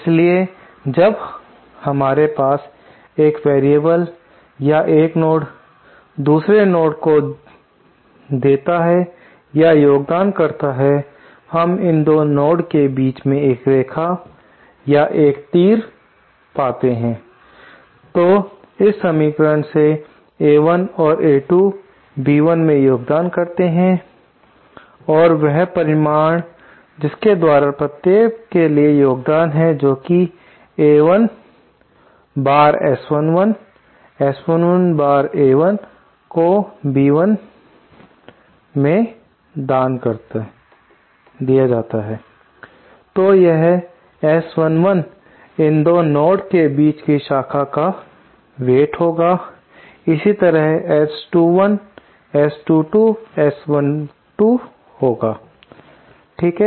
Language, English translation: Hindi, So, when we have one variable or one node giving or contributing to another node, we draw a line or an arrow between the 2 so here from this equation, A1 and A2 contribute to B2, similarly A1 and A2 contribute to B1 and the magnitude by which of the contribution for each, that is A1 Times S 11, S 11 times A1 is contributed to B1